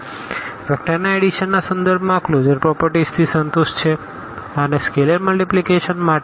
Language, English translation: Gujarati, So, this closure property with respect to vector addition is satisfied and also for the scalar multiplication